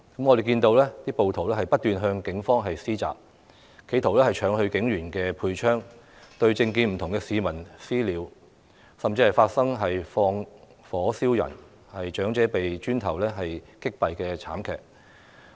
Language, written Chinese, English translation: Cantonese, 我們看到暴徒不斷向警方施襲，企圖搶走警員的配槍，對政見不同的市民"私了"，甚至放火燒人、長者被磚頭擊斃的慘劇。, We could see that the mobs had repeatedly assaulted police officers made attempts to snatch police firearms executed vigilante justice on members of the public and even set a person on fire . There was a tragic incident in which an elderly person was killed by a brick hurled in his direction